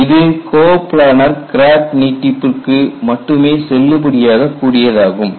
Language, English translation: Tamil, This is valid only for coplanar crack extension